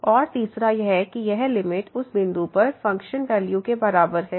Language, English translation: Hindi, And the third one that this limit is equal to the function value at that point